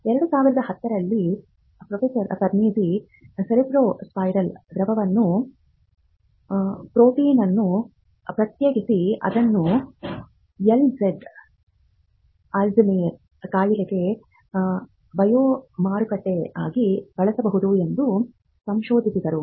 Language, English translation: Kannada, In 2010 Professor Perneczky isolated protein in cerebrospinal fluid that could be used as a biomarker for Alzheimer’s disease